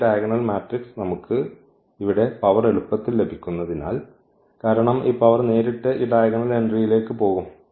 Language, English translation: Malayalam, What is the use here that this diagonal matrix we can easily get this power here because this power will directly go to this diagonal entry